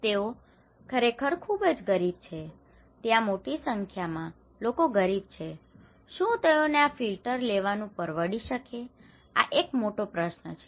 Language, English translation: Gujarati, They are really, really, really poor, a large number of populations are very poor, can they afford to have these filters this is a question; the big question, right